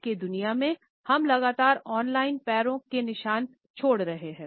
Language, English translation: Hindi, In today’s world, we continuously leave what is known as on line footprints